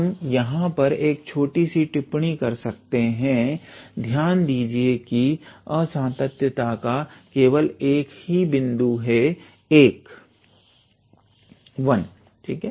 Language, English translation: Hindi, Here we can put a small comment that, note that 1 is the only point of discontinuity, all right